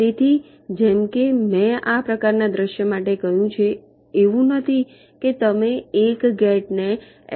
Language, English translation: Gujarati, so as i said, for this kind of a scenario it is not that you are mapping one gate into an l